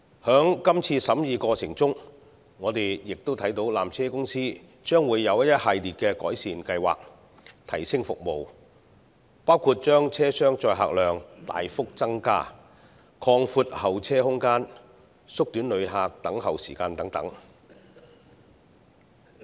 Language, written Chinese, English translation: Cantonese, 在今次審議過程中，我們亦看到纜車公司將會有一系列改善計劃，提升服務，包括把車廂載客量大幅增加、擴闊候車空間、縮短旅客等候時間等。, During deliberations on these two items of subsidiary legislation we have seen that PTC will implement a series of improvement plans to enhance its services including a substantial increase in the tramcar capacity the provision of bigger waiting areas the reduction in the waiting time for passengers etc